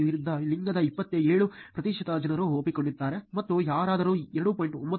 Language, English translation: Kannada, 27 percent accepted people of opposite gender and anyone is 2